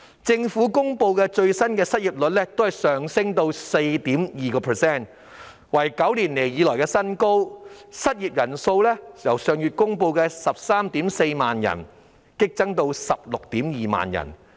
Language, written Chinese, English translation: Cantonese, 最新公布的失業率上升至 4.2%， 是9年來的新高，失業人數亦由上月公布的 134,000 人激增至 162,000 人。, The latest unemployment rate has risen to 4.2 % which is a record high in nine years and the number of unemployed people has surged from 134 000 as announced last month to 162 000